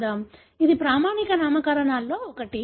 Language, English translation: Telugu, This is one of the standard nomenclatures